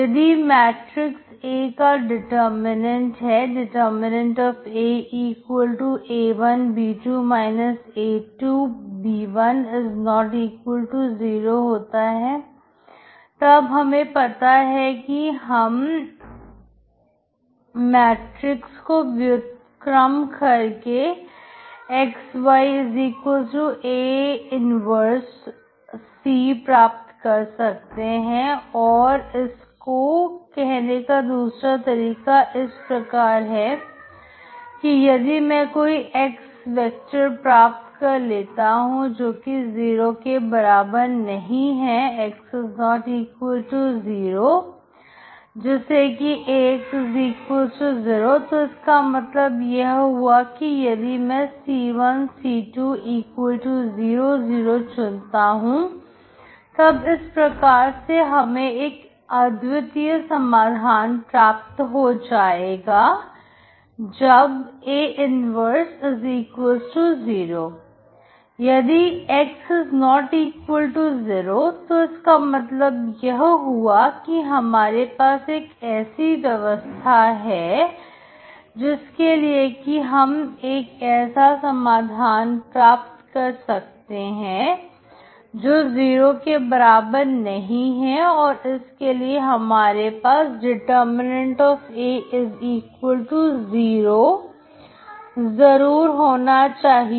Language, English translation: Hindi, You can rewrite this system of equations as AX=C, which is equivalent to [a1b1 a2b2 ][xy ]=[c1 c2 ] If the determinant of matrix A that is |A|=a1 b2−a2 b1≠0, then I know that I can invert the matrix to get [xy ]=A−1C and also another way of saying is, suppose if I can find some non zero X vector that is X ≠0, such that AX=0, okay, so that means if I choose my [c1 c2 ]=[00] then I will have a unique solution, when A−1=0